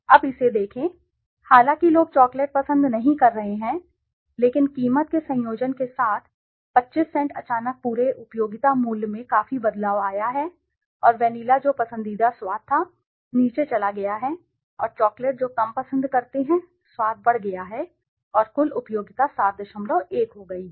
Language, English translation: Hindi, Now look at it, although people do not, might be preferring chocolate but with the combination of the price that 25 cents suddenly the whole utility value has drastically changed and vanilla which was the preferred taste has gone down and the chocolate which was the less prefer taste has gone up and the total utility has become 7